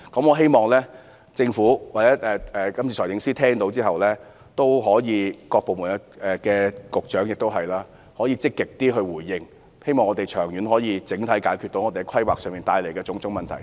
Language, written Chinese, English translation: Cantonese, 我希望政府或財政司司長、局長及各部門官員在聽罷我的發言後也可以積極回應，希望我們可以長遠及整體解決在規劃上帶來的種種問題。, I hope that the Government the Financial Secretary Directors of Bureaux and public officers of various government departments can actively respond to my speech after hearing it . I hope that we can solve various planning problems in the long term comprehensively